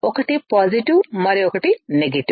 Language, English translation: Telugu, One is positive and the other one is negative